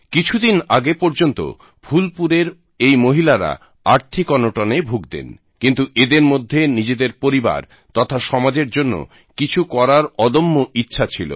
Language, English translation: Bengali, Till some time ago, these women of Phulpur were hampered by financial constraints and poverty, but, they had the resolve to do something for their families and society